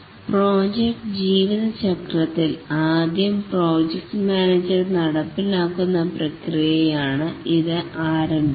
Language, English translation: Malayalam, During the project lifecycle, the project manager executes the project management processes